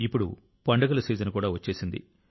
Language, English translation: Telugu, The season of festivals has also arrived